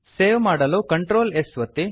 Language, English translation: Kannada, Save the file with Ctrl s